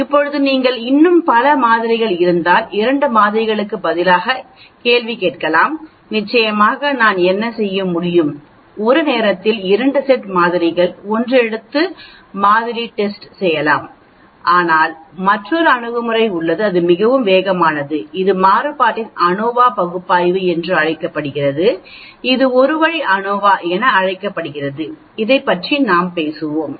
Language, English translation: Tamil, Now you may ask the question suppose instead of 2 samples if I have many more samples what will I do of course I can do, take 2 sets of samples 1 at a time and do a two sample t test, but there is another approach which is much faster that is called ANOVA analysis of variance, it is called the 1 way ANOVA we will talk about that later in the course